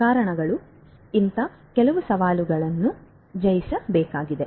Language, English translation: Kannada, So, these are some of these challenges that have to be overcome